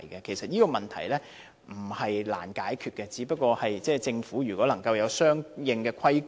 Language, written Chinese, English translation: Cantonese, 其實，這些問題並非難以解決，政府只要有相應規管。, In fact these problems can easily be solved by putting in place regulation